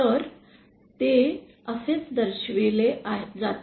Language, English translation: Marathi, So, that is how it is shown